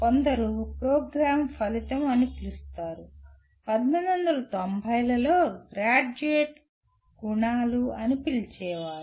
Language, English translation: Telugu, Some called as Program Outcomes, sometimes called Graduate Attributes since 1990s